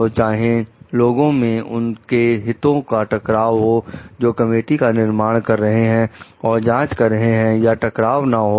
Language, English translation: Hindi, So, whether there were conflicts of interest for people who are forming the committees to conduct the investigation or not